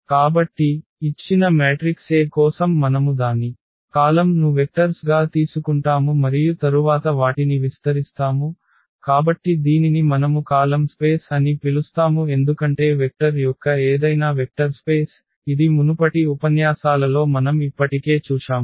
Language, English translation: Telugu, So, for a given matrix A we take its column as vectors and then span them, so that is what we call the column space because any span of any vectors that is a vector space which we have already seen in previous lectures